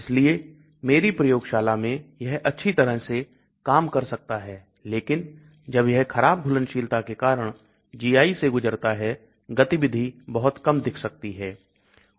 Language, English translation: Hindi, so whereas in my lab it may work well but when it goes through the GI because of poor solubility, activity may look very low